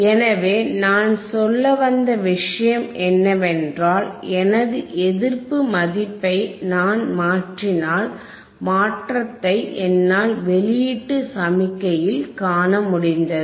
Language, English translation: Tamil, So, you so the point that I was making is if I if I change my resistance value, if my change my resistance value I, I could see the change in the output signal